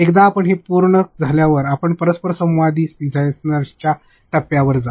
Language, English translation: Marathi, Once you are done with that then you go to the interactive design phase